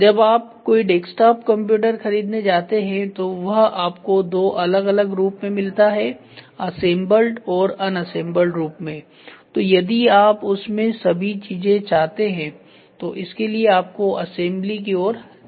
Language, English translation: Hindi, When you buy a desktop computer you get it both version assembled version and unassembled version so you try to get everything and you start assembling it